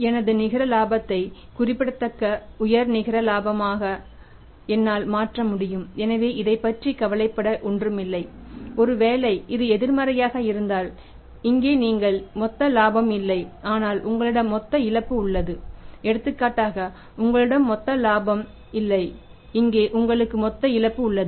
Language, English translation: Tamil, I will be able to convert from net profit significant high net profit so there is nothing to worry about it and if the reverse is the case for example here you have the not the gross profit but you have the gross loss for example you have a no no gross profit here you have the gross loss right